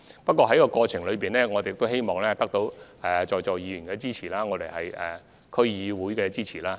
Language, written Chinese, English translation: Cantonese, 不過，在此過程中，我們亦希望得到在座議員和區議會的支持。, Nevertheless during the process it is also our hope to have the support of Members present and the relevant District Councils